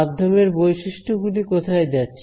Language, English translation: Bengali, Where do the medium properties going to